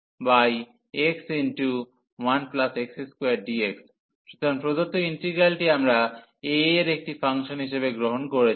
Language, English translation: Bengali, So, the given integral, we have taken as a function of a